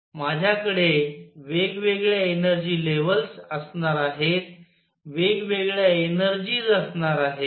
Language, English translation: Marathi, I am going to have different energy levels, different energies